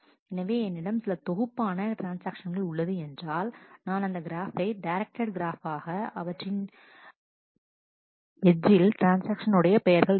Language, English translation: Tamil, So, if I have a set of transactions, then I construct a graph is a directed graph where the vertices are the transactions their names